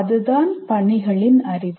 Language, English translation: Tamil, That is knowledge of the tasks